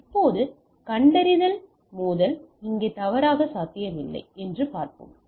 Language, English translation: Tamil, Now, we will see that detection collision it may not be false feasible here out here